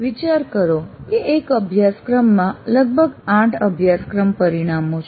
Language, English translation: Gujarati, Let us consider there are about eight course outcomes that we do